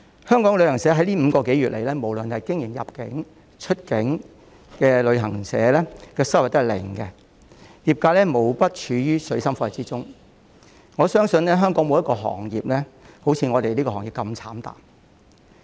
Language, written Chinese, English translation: Cantonese, 香港的旅行社在這5個多月來，無論是經營入境、出境的旅行社行業的收入均是零，業界無不處於水深火熱中，我相信香港沒有一個行業會如旅遊業界般慘淡。, Over the past five months the income of travel agencies was zero no matter whether they were conducting inbound or outbound tours . The entire industry is in dire difficulty . I believe no industry in Hong Kong is suffering the same bleak situation as the tourism industry